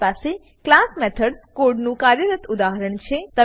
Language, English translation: Gujarati, I have a working example of class methods code